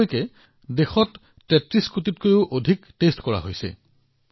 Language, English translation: Assamese, So far, more than 33 crore samples have been tested in the country